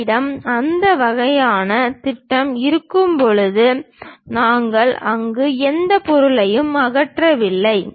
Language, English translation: Tamil, When we have that kind of projection, we did not remove any material there